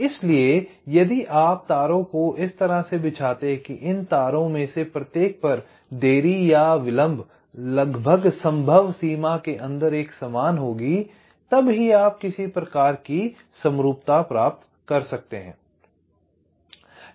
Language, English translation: Hindi, so so if you lay out the wires in such a way that the delay on each of this wires will be approximately equal, to the extent possible, then you can achieve some kind of a symmetry